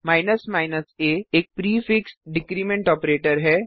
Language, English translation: Hindi, a is a prefix decrement operator